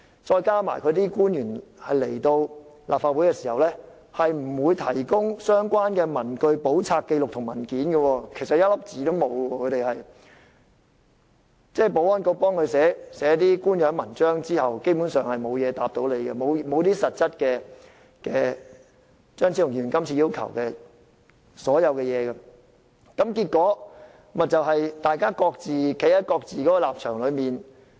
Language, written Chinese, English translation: Cantonese, 再加上官員前來立法會，並不會提供相關的文據、簿冊、紀錄或文件，只有由保安局代寫的一些官樣文章，但基本上都沒有回應議員的問題，亦沒有實質回應張超雄議員這次提出的各項要求，結果議員各自站在不同的立場表述意見。, Worse still the public officers who attended before the Council did not produce the relevant papers books records or documents except for the gobbledygook prepared by the Security Bureau which could in no way address Members concerns or make substantive response to the various requests put forward by Dr Fernando CHEUNG in this motion . As a result Members merely expressed views from their own standpoints